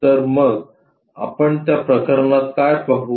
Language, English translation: Marathi, So, what we will see for that case